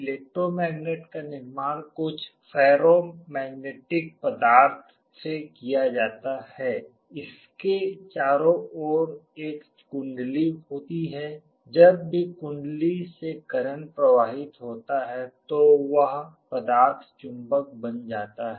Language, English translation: Hindi, Electromagnet is constructed out of some ferromagnetic material with a coil around it; whenever there is a current flowing through the coil that material becomes a magnet